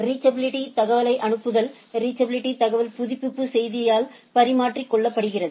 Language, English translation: Tamil, Sending reachability information, reachability information is exchanged by the update message right